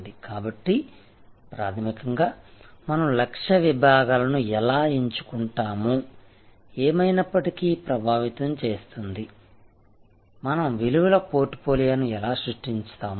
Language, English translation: Telugu, So, fundamentally therefore, how do we select target segments will anyway influence, how we will create our portfolio of values